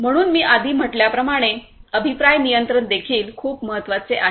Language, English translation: Marathi, So, feedback control is also very important as I said before